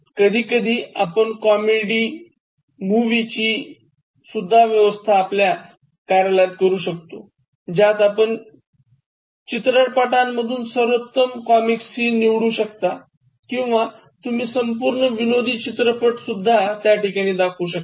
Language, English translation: Marathi, Sometimes you can arrange for comic movie shows, so you can just select the best comic scenes from movies, or you can just show one full length movie, you can arrange for movie shows